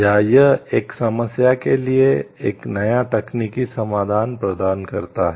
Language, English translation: Hindi, Or that offers a new technical solution to a problem